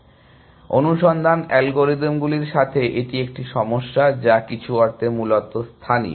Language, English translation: Bengali, So, this is the one problem with search algorithms, which are local in some sense essentially